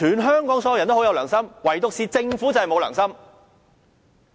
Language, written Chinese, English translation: Cantonese, 香港所有人都很有良心，唯獨政府沒有良心。, Everyone in Hong Kong is kindhearted except for its Government